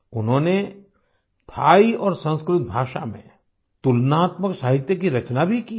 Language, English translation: Hindi, They have also carried out comparative studies in literature of Thai and Sanskrit languages